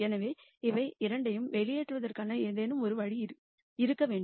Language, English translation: Tamil, So, there has to be some way of nding out both of them